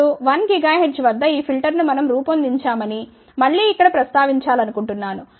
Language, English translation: Telugu, Now, again I want to mention here that we had design this filter at 1 gigahertz